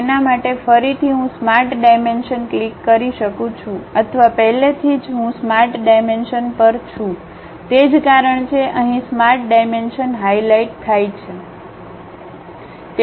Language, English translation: Gujarati, For that again I can click Smart Dimension or already I am on Smart Dimension; that is the reason the Smart Dimension is highlighted here